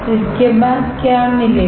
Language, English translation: Hindi, After this what will get